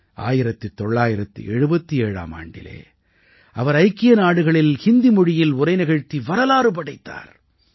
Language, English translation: Tamil, In 1977, he made history by addressing the United Nations in Hindi